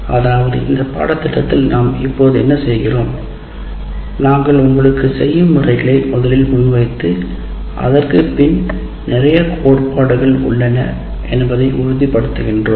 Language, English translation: Tamil, Actually what we are doing right now in this course, that is we are giving you, we are presenting to you a certain methods of doing saying that assuring you there is a lot of theory behind it